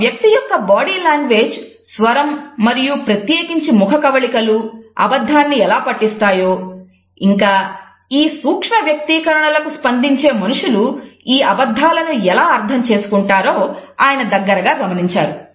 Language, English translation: Telugu, He has also looked closely as how an individual's body language, voice, facial expressions in particular can give away a lie and people who are sensitive to the micro expressions can understand these lies